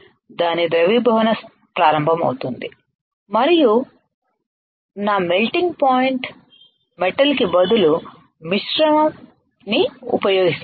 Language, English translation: Telugu, It will start melting and instead of getting a metal if my material is a metal I will get a alloy I get a alloy